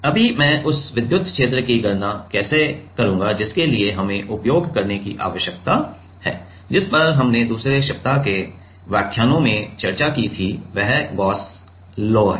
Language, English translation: Hindi, Now; how I will calculate then the electric field for that we need to use, what we discussed in like week two lectures, it is Gauss law right